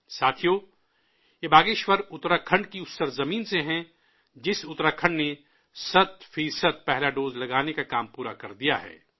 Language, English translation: Urdu, Friends, she is from Bageshwar, part of the very land of Uttarakhand which accomplished the task of administering cent percent of the first dose